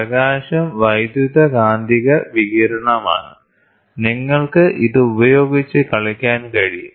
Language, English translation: Malayalam, Light is an electromagnetic radiation, so you can play with it